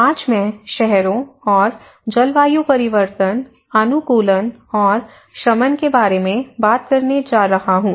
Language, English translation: Hindi, Today, I am going to talk about cities and climate change, adaptation and mitigation